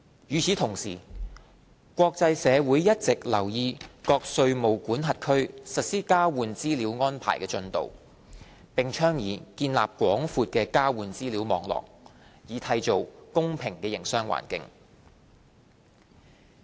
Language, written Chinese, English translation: Cantonese, 與此同時，國際社會一直留意各稅務管轄區實施交換資料安排的進度，並倡議建立廣闊的交換資料網絡，以締造公平的營商環境。, Meanwhile the international community has been monitoring jurisdictions progress in the implementation of the exchange of information EOI and putting emphasis on a wide network of EOI to ensure a level - playing field for businesses